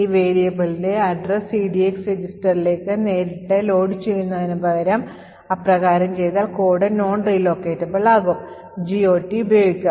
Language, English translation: Malayalam, Thus, we see that instead of directly loading the address of the variable into the EDX register which is making the code non relocatable, instead we use the GOT table